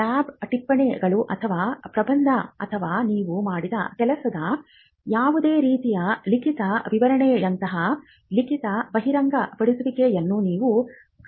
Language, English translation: Kannada, You could find disclosures written disclosures like lab notes or thesis or or any kind of written description of work done